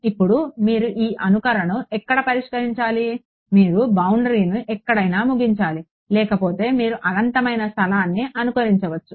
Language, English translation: Telugu, Now where do you to solve this simulation you need to terminate the boundary somewhere otherwise you I mean you can simulate infinite space